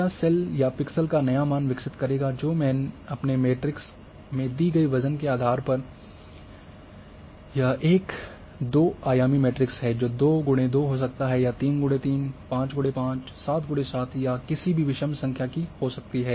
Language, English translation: Hindi, It will create the new cell value or pixel value depending on the weights which I have given in my matrix which is a two dimensional may be 2 by 2 has may be 3 by 3, 5 by 5, 7 by 7 any odd number